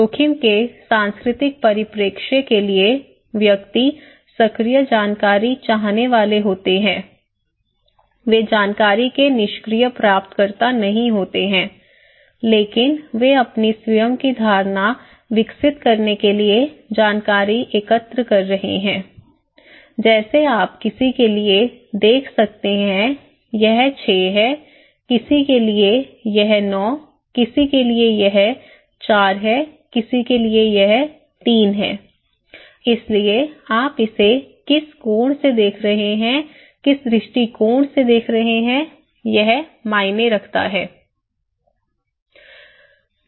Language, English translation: Hindi, For the cultural perspective of risk, individuals are active information seeker, they are not the passive recipient of information but they also collect informations to develop their own perception, own perspective okay, like you can see for someone it is 6, for someone it is 9, for someone it is 4, someone it is 3, so how you are looking at it from which angle, from which perspective, it matters